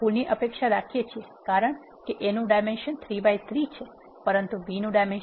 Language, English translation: Gujarati, We expect an error because A is having the dimension 3 by 3, but B is having 1 by 3